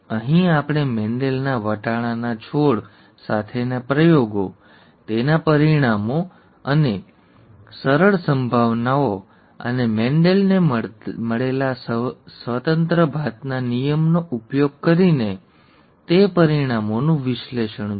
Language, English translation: Gujarati, Here we saw Mendel’s experiments with pea plants, their results and analysis of those results using simple probabilities and the law of independent assortment that Mendel found